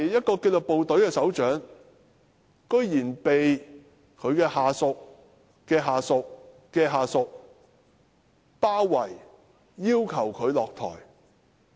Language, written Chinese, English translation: Cantonese, 作為紀律部隊的首長，他居然被其下屬的下屬的下屬包圍，要求他下台。, As head of a disciplined force he was nevertheless enclosed by the subordinates of the subordinates of his subordinates calling on him to step down